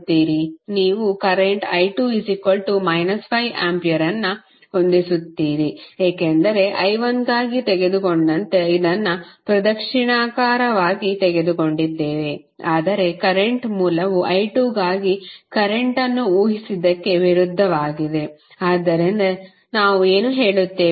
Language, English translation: Kannada, You will set current i 2 is equal to minus 5 ampere because the direction of i 2 we have taken as clockwise as we have taken for i 1 but the current source is opposite to what we have assume the current for i 2, so that is why what we will say